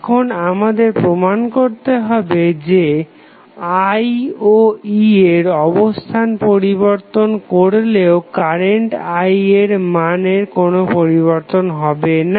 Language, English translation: Bengali, Now, we have to prove that if you exchange value of, sorry, the location of I and E the values of current I is not going to change